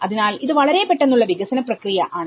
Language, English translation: Malayalam, So, it is a very quick development process